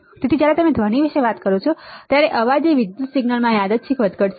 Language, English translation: Gujarati, So, noise when you talk about noise it is a random fluctuation in an electrical signal